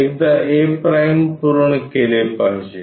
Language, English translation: Marathi, Once done a’ has to be